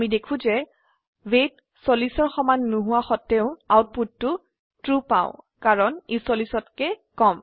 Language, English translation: Assamese, We see, that although the weight is not equal to 40 we get the output as True because it is less than 40